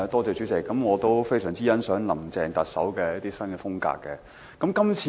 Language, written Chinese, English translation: Cantonese, 主席，我非常欣賞林鄭特首的一些管治新風格。, President I highly appreciate some new styles of governance of the Chief Executive Carrie LAM